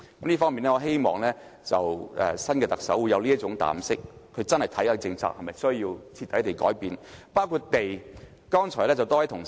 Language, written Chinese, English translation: Cantonese, 這方面，我希望新任特首會有這種膽識，認真研究某些政策是否需要徹底改變，包括土地政策。, In this regard I hope the next Chief Executive will have such audacity to seriously study if he needs to overhaul any policy including land policy